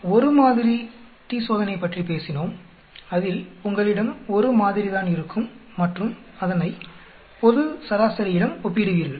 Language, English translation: Tamil, We talked about one sample t Test, where you have only one sample and comparing it with the global mean